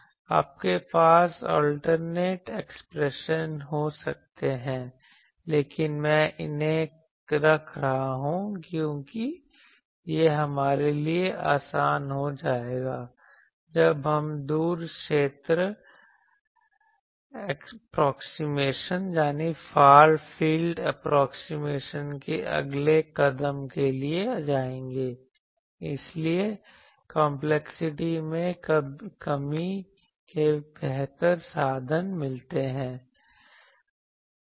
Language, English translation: Hindi, You can have alternate expression, but I am keeping these because this will be easier for us when we will go to the next step that far field approximation, this gives a better a better I means reduction of complexity